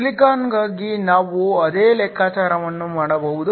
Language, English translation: Kannada, We can do the same calculation for silicon